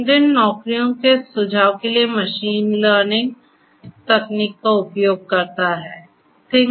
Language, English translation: Hindi, LinkedIn uses machine learning technology for suggesting jobs